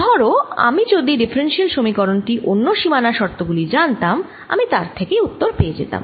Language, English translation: Bengali, then i would solve the differential equation with these boundary conditions and that'll give me the answer